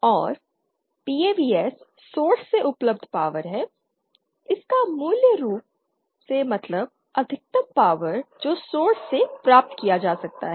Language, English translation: Hindi, And PAVS is the power available from the source it basically means the maximum power that can be obtained from the source